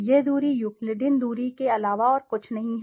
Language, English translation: Hindi, This distance is nothing but the Euclidean distance